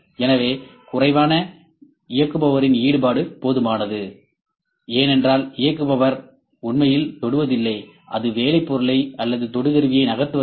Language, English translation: Tamil, So, reduced operator influence is there, because operator is not actually touching or just making the work piece or probe to move